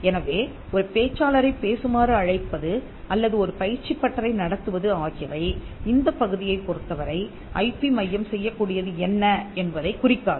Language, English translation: Tamil, So, inviting a speaker to come and speak or conducting a workshop may not address this part of what an IP centre can do for you